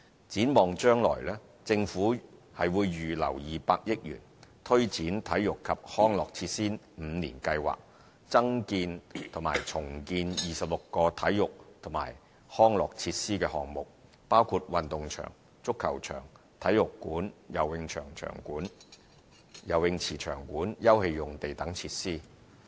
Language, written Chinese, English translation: Cantonese, 展望將來，政府已預留200億元，推展"體育及康樂設施五年計劃"，增建或重建26個體育及康樂設施的項目，包括運動場、足球場、體育館、游泳池場館、休憩用地等設施。, In preparation for the future the Government has set aside 20 billion to take forward the Five - Year Plan for Sports and Recreation Facilities building or redeveloping 26 sports and recreation facilities including sports grounds soccer pitches sports centres swimming pool complexes open space and so on